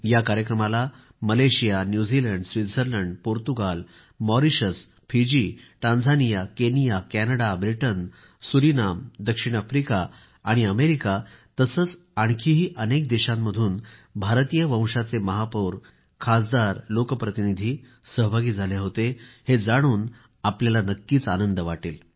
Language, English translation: Marathi, You will be pleased to know that in this programme, Malaysia, New Zealand, Switzerland, Portugal, Mauritius, Fiji, Tanzania, Kenya, Canada, Britain, Surinam, South Africa and America, and many other countries wherever our Mayors or MPs of Indian Origin exist, all of them participated